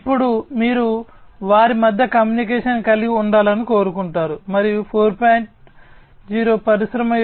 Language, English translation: Telugu, And now you want to have communication between them, and that is what is the objective of Industry 4